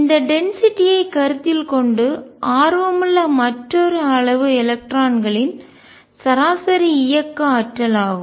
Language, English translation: Tamil, Given that density another quantity which is of interest is the average kinetic energy of electrons